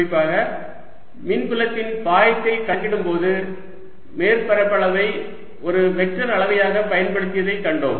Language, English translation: Tamil, particularly when we saw that we are calculating flux of electric field, then we used surface area as a vector quantity